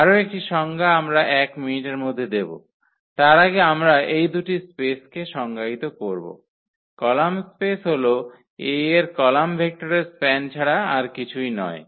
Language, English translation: Bengali, One more definition we are going to give in a minutes, before that we just define these two spaces the column space is nothing but the span of the column vectors of A